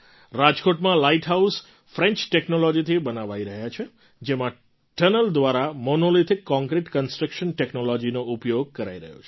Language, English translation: Gujarati, In Rajkot, the Light House is being made with French Technology in which through a tunnel Monolithic Concrete construction technology is being used